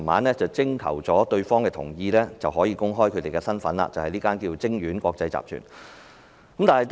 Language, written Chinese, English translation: Cantonese, 所以，當局徵得生產商同意後才公開其身份，即晶苑國際集團。, Hence after obtaining the consent of the producer the Bureau disclosed its identity ie . Crystal International Group Limited